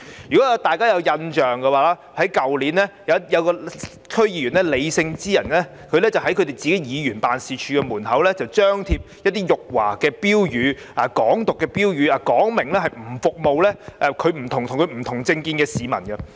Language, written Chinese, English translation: Cantonese, 如果大家有印象，去年，一位李姓區議員在議員辦事處門外張貼辱華和"港獨"的標語，表明拒絕服務與他政見不同的市民。, As Members may recall last year a DC member surnamed LEE posted signs insulting China and advocating Hong Kong independence outside his office indicating that he refused to serve people who held different political views from him